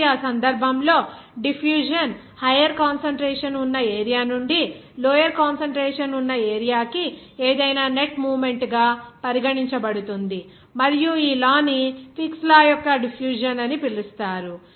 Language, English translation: Telugu, So, in that case, the diffusion can be regarded as the net movement of anything from a region of higher concentration to a region of lower concentration and this law is called as Fick’s law of diffusion